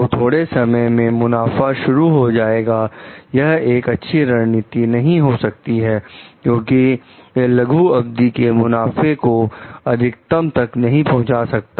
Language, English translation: Hindi, So, though in the short term, profit will initiate; it may not be a very good strategy because it does not maximize the short term profit